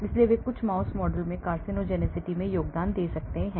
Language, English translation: Hindi, so they may be contributing to the carcinogenicity in some mouse model